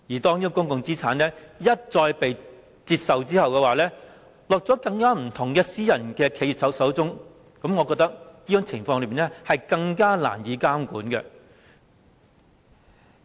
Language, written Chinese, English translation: Cantonese, 當公共資產被一再拆售，便會落入更多不同的私人企業手中，我覺得這情況更加難以監管。, When public assets are divested and sold one after another they would fall into the hands of many more different private enterprises in which case I think it would be even more difficult to exercise monitoring